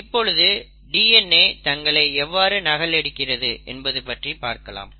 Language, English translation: Tamil, So let us look at how DNA replication happens